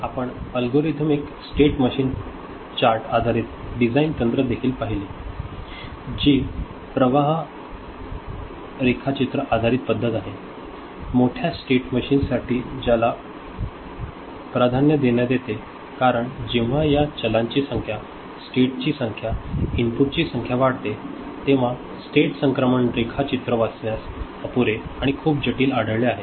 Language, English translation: Marathi, So, we also saw algorithmic state machine chart based design techniques, which is a flow diagram based method, it is preferred for larger state machines, because state transition diagram is found inadequate or very complex to read when the number of these variables, number of states, number of inputs increase ok